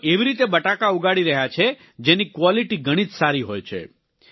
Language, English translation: Gujarati, He is growing potatoes that are of very high quality